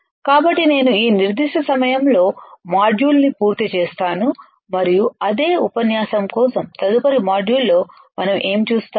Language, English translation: Telugu, So, I will complete the module at this particular time and in the next module for the same lecture what we will see